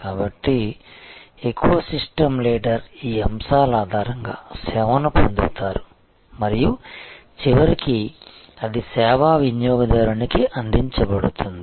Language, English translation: Telugu, So, the eco system leader will acquire service on the basis of these elements and the, but it will be delivered to the ultimately to the service consumer